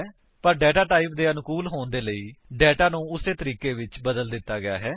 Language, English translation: Punjabi, But to suit the data type, the data has been changed accordingly